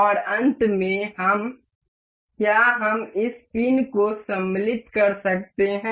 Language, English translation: Hindi, And in the end we, can we have to insert this pin